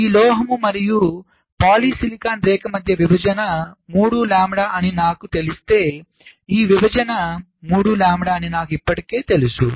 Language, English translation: Telugu, so if i know that the separation between this metal and polysilicon line will be three lambda, then i already know this separation will be three lambda